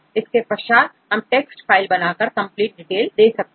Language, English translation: Hindi, Then we give the text file this will give complete details